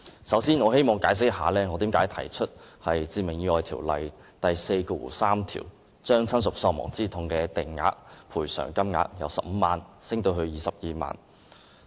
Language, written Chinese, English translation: Cantonese, 首先，我希望解釋一下，為何我提出修訂《致命意外條例》第43條，將親屬喪亡之痛的法定賠償款額由15萬元增加至22萬元。, First I wish to explain why I propose to raise the statutory sum of damages for bereavement under section 43 of the Fatal Accidents Ordinance from 150,000 to 220,000